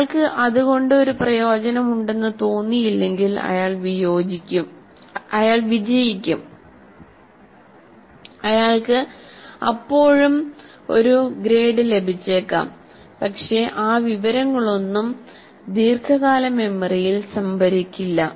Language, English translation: Malayalam, If he doesn't find meaning, you may pass, you may get still a grade, but none of that information will get stored in the long term memory